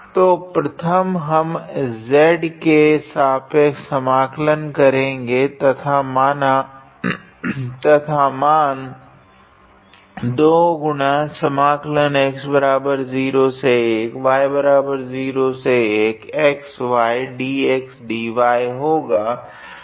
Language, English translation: Hindi, So, first we integrate with respect to z and the value will be 1 1 z is 1